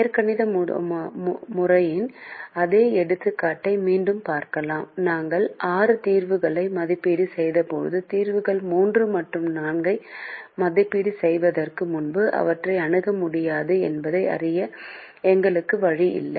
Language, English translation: Tamil, in the algebraic method we evaluated six solutions and we did not have a way to know that our solutions three and four are going to be infeasible before we evaluated them